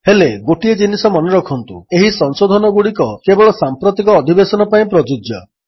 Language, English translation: Odia, But, remember one thing that these modifications are only applicable for the current session